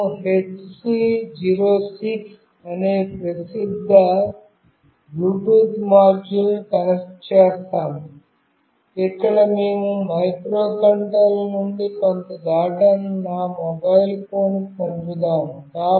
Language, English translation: Telugu, We will be connecting a popular Bluetooth module that is HC 06, where we will be sending some data from the microcontroller to my mobile phone